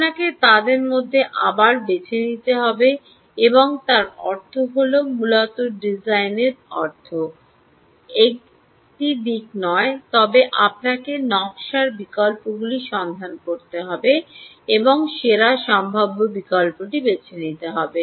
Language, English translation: Bengali, you have to choose one of them again and then that means essentially design means is just not one aspect, but you have to keep looking at design alternatives and choose the best possible alternative